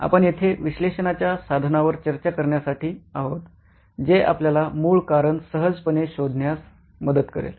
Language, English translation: Marathi, We're here to discuss an analysis tool that will help you figure out a root cause quite easily